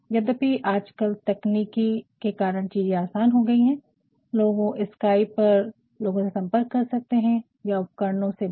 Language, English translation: Hindi, Though, nowadays because of thewings of technology things have become easier and you can contact people over Skype or other devices as well